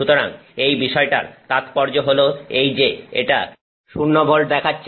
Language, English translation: Bengali, So, that is the significance of the fact that it is showing you zero volts